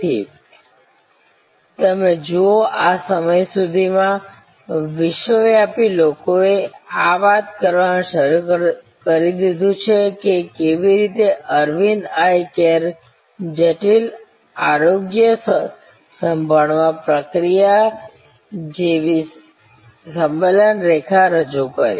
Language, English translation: Gujarati, So, you see by this time, World Wide people had started talking about how Aravind Eye Care introduced assembly line like process in intricate health care